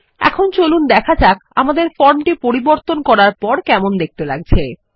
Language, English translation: Bengali, Let us now see, how our form looks like after the modification that we made